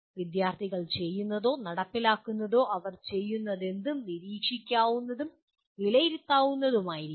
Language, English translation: Malayalam, And when the students do or perform whatever they do should be observable and assessable